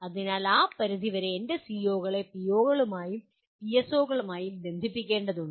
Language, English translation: Malayalam, So to that extent I need to relate my or connect my COs to POs and PSOs